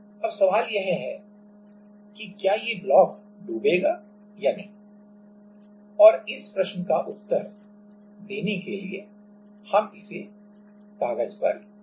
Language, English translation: Hindi, Now, the question is will the block sink or not and to answer this question we will work it out on paper